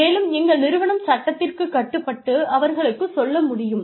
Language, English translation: Tamil, And, the organization can, is bound by law, to tell them